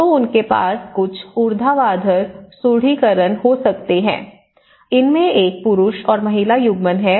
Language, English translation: Hindi, So, they can have some vertical reinforcement, there is a male and female coupling of it